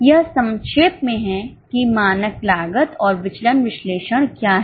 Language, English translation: Hindi, This is in nutshell what is standard costing and variance analysis